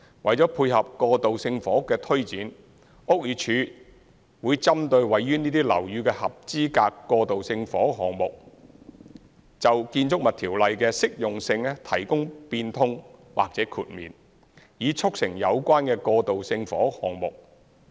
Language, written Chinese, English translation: Cantonese, 為配合過渡性房屋的推展，屋宇署會針對位於這些樓宇的合資格過渡性房屋項目，就《建築物條例》的適用性提供變通或豁免，以促成有關的過渡性房屋項目。, To support the promotion of transitional housing BD will grant modification or exemption regarding the applicability of the Buildings Ordinance to eligible transitional housing projects in these buildings in order to facilitate the implementation of such transitional housing projects